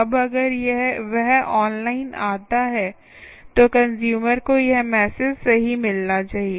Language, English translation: Hindi, now, if he comes online, the consumer should get this message right